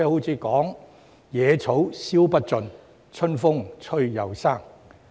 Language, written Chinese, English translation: Cantonese, 然而，"野草燒不盡、春風吹又生"。, Yet UBWs are like the grass which can never be wiped out but will grow again with the spring breeze